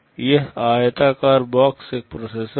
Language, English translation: Hindi, This rectangular box is a processor